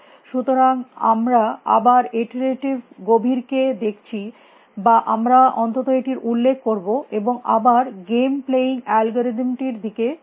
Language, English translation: Bengali, So, we look at iterative deepening again all at least we will mention it again we look at game playing algorithms